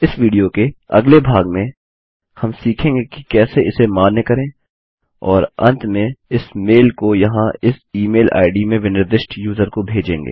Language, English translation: Hindi, In the next part of this video we will learn how to validate this and eventually send this mail to the user specified in this email id here